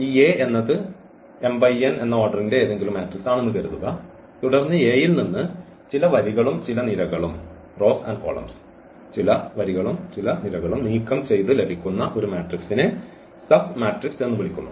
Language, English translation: Malayalam, Suppose, this A is any matrix of order m cross n, then a matrix obtained by leaving some rows and some columns from A is called a submatrix